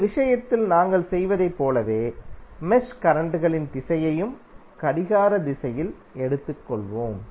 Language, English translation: Tamil, Like in this case we have done the, we have taken the direction of the mesh currents as clockwise